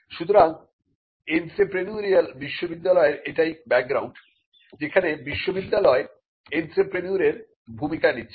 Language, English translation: Bengali, So, this is the background of the entrepreneurial university, the university donning the role of an entrepreneur